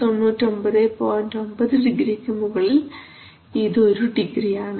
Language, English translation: Malayalam, 9 degree it is one degree